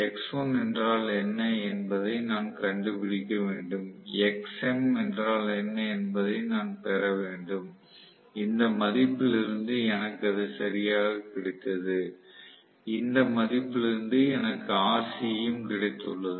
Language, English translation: Tamil, I will have to find out what is x1, I have to get what is xm which I have got exactly from this value I have got rc which is also from this value what I have got